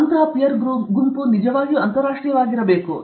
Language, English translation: Kannada, And that peer group must be truly international